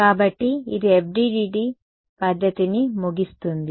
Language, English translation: Telugu, So, this brings us to an end of the FDTD method right